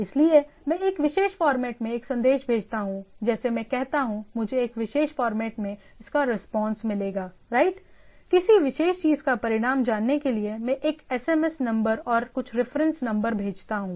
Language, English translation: Hindi, So, I send a message in a particular format and it respond in a particular format right, like I say, I in order to knowing the result of a particular things I send a SMS number and some reference number and so on so forth